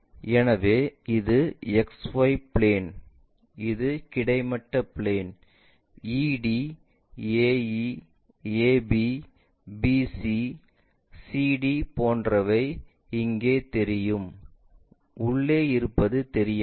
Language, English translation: Tamil, So, X Y plane, horizontal plane like, what we have guessed ED, AE, AB, BC, CD are visible